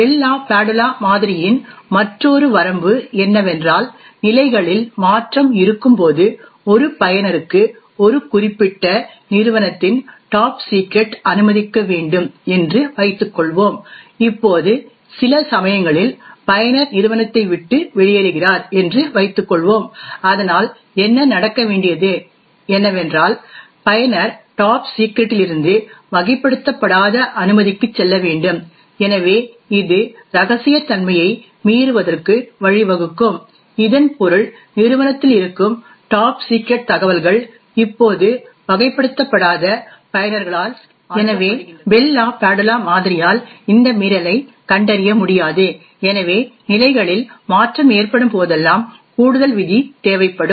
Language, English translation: Tamil, Another limitation of the Bell LaPadula model is the case when there is a change of levels, let us assume that a user has a clearance of top secret a particular company, now after sometimes let us assume that user leaves the company, so what should happen is that user should move from top secret to an unclassified clearance, so this could lead to a breach of confidentiality, it would mean that top secret information present in the company is now accessed by unclassified users, so the Bell LaPadula model would not be able to detect this breach, therefore an additional rule would require whenever there is a change of levels